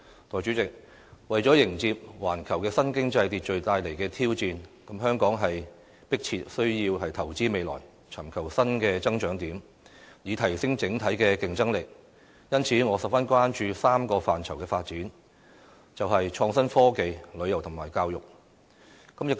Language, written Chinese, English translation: Cantonese, 代理主席，為了迎接環球新經濟秩序帶來的挑戰，香港是迫切需要投資未來，尋求新的增長點，以提升整體的競爭力，因此，我十分關注3項範疇的發展，便是創新科技、旅遊和教育。, Deputy President in order to meet the challenges brought about by the new global economic order Hong Kong urgently needs to invest in the future to look for new growth areas so as to enhance its overall competitiveness . In this respect I am gravely concerned about our development in three areas namely the innovation and technology tourism and education